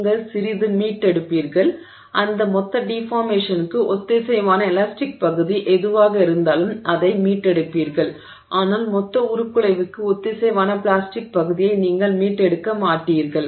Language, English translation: Tamil, You will recover a little bit, you will recover whatever is the elastic part corresponding to that total deformation but you will not recover the plastic part corresponding to the total deformation